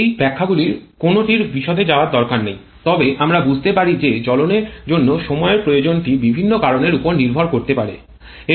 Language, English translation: Bengali, There is no need to go into the detail of any of these explanations but we can understand that the time requirement for combustion can depend on several factors